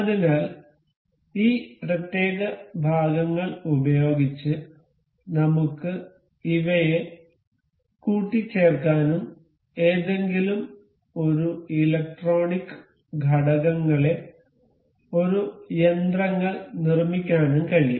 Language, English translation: Malayalam, So this is, using the these particular parts we can assemble these to form one machinery any electronic component anything